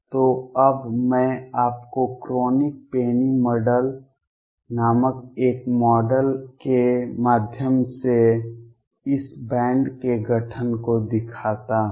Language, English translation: Hindi, So, first now let me show you the formation of this band through a model called the Kronig Penney Model